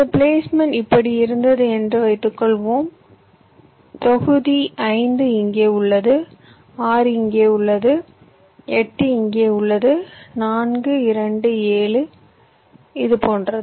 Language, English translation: Tamil, but suppose my placement was like this, where block five is here, six is here, eight is here four, two, seven, like this